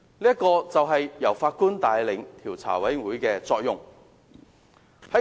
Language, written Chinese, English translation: Cantonese, 這就是由法官帶領獨立調查委員會的作用。, The function of an independent judge - led commission of inquiry has been well demonstrated in this case